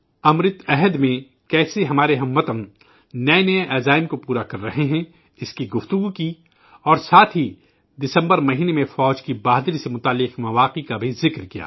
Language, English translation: Urdu, We discussed how our countrymen are fulfilling new resolutions in this AmritKaal and also mentioned the stories related to the valour of our Army in the month of December